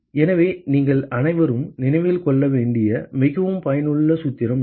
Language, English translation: Tamil, So, this is a very very useful formula that you must all remember